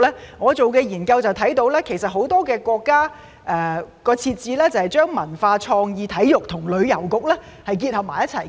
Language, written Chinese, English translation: Cantonese, 從我進行的研究看到，很多國家的設置就是把文化、創意、體育和旅遊結合為一局。, From the study I did I can see that many countries have combined culture creativity sports and tourism into one bureau